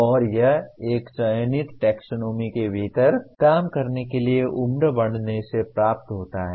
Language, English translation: Hindi, And this is achieved by ageing to work within a one selected taxonomy